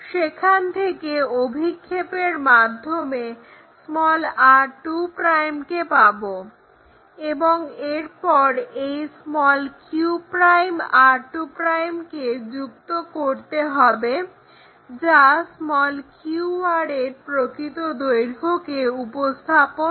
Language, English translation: Bengali, So, from p and this is r we take a arc project it to r 2 line from there project it r2' we got it, and then join this q' r2' to represent true length of a line qr